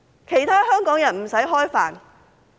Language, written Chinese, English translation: Cantonese, 其他香港人不用吃飯嗎？, Do other Hong Kong people not need to eat?